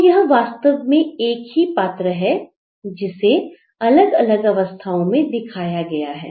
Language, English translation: Hindi, So, it is just one character who is in different action